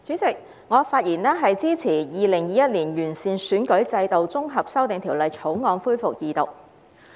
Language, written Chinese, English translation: Cantonese, 主席，我發言支持《2021年完善選舉制度條例草案》恢復二讀。, President I rise to speak in support of the resumption of the Second Reading of the Improving Electoral System Bill 2021 the Bill